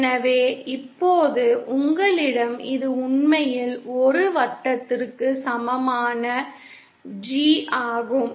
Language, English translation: Tamil, So now see you have actually this is the G equal to 1 circle